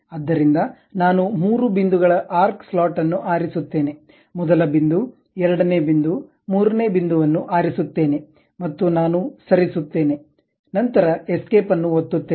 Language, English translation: Kannada, So, I will pick three point, arc slot, first point, second point, third point, and I just move press escape